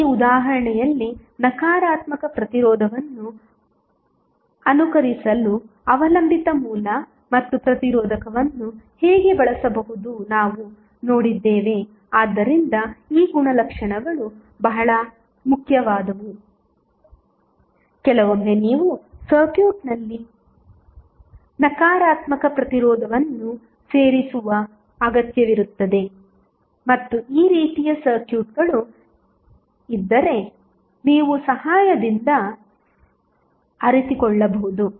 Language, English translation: Kannada, Now, in this example we have seen how a dependent source and register could be used to simulate the negative resistance so these property is very important sometimes you need to insert negative resistance in the circuit and you can realize with the help if this type of circuits